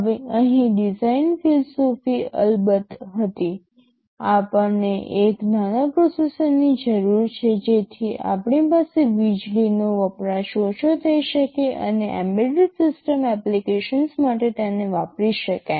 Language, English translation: Gujarati, Now the design philosophy here was of course , first thing is that we need a small processor so that we can have lower power consumption and can be used for embedded systems application